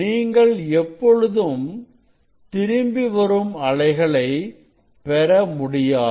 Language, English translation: Tamil, you do not never get any backward wave